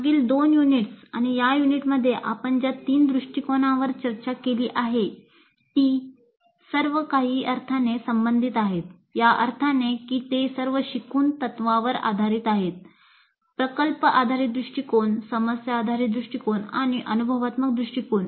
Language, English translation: Marathi, And the three approaches which we have discussed in the last two units and this unit they are all related in some sense in the sense that they all are based on the principle of learning by doing, project based approach, problem based approach and experiential approach